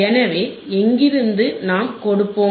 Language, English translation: Tamil, So, from where will apply